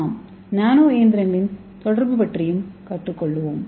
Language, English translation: Tamil, So now let us see a nano machine communication